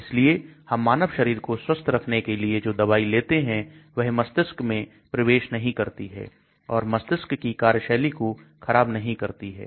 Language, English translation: Hindi, So the drugs which we take for curing the human body should not enter the brain and start disturbing the brain function